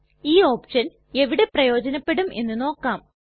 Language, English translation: Malayalam, Let us see where this options are useful